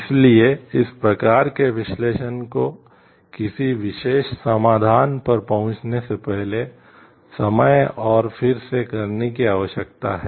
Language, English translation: Hindi, So, these type of analysis needs to be thinking needs to be done time and again before we arrive at a particular solution